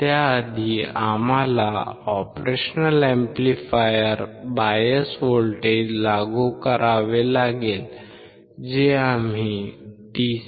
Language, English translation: Marathi, Before that, we have to apply the bias voltage to the operational amplifier which we will apply through the DC power supply